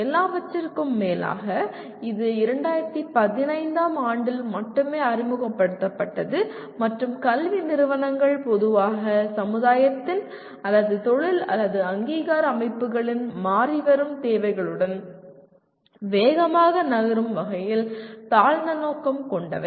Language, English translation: Tamil, After all, it was only introduced in 2015 and educational institutions are generally notorious in terms of moving with the fast changing requirements of the either society or with of the industry or accreditation bodies